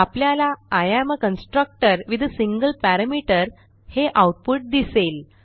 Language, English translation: Marathi, We get the output as I am constructor with a single parameter